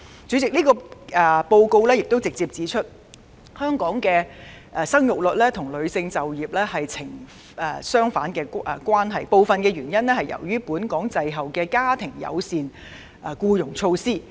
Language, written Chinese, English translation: Cantonese, 主席，該報告亦直接指出，香港的生育率和女性就業率成反比，部分由於香港滯後實施家庭友善僱傭措施。, President the report also points out directly that Hong Kongs fertility rate is inversely proportional to the female employment rate which is partly due to the delayed implementation of family - friendly employment practices in Hong Kong